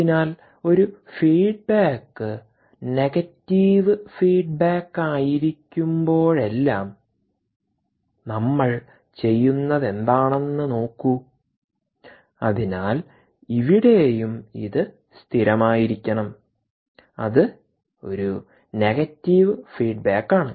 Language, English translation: Malayalam, yeah, so look at what we do every time a feedback is a negative feedback and therefore the same should be here is consistent